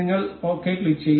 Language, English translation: Malayalam, We will click on ok